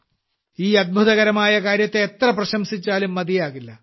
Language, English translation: Malayalam, Whatever praise is showered on this wonderful effort is little